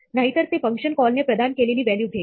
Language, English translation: Marathi, Otherwise, it will take the value provided by the function call